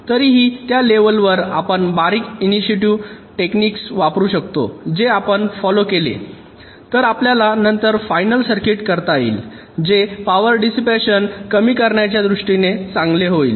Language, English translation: Marathi, if and at that level, we can use a number of intuitive techniques which, if you follow, is expected to give us a final circuit later on that will be good in terms of power dissipation